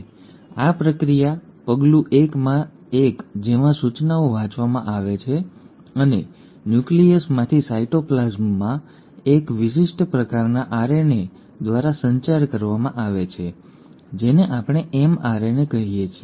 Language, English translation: Gujarati, Now, this process, the step 1 in which the instructions are read and are communicated from the nucleus into the cytoplasm by one specific kind of RNA which we call as the mRNA